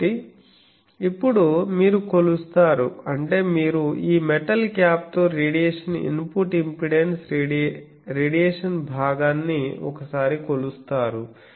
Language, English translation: Telugu, So, what is says that now you measure that means you measure the radiation input impedance radiation part once with this metal cap